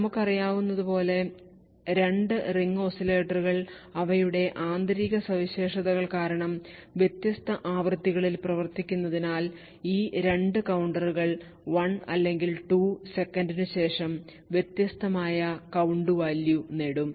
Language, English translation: Malayalam, So therefore, what we know is that since the 2 ring oscillators are operating at different frequencies due their intrinsic properties, these 2 counters would after a period of time say like 1 or 2 seconds would obtain a different count value